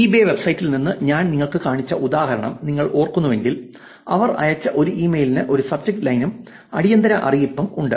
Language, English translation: Malayalam, If you remember the example that I showed you from eBay website, an email that they sent has a subject line also has urgent notification, urgent verification, but this actually puts a challenge on solving the problem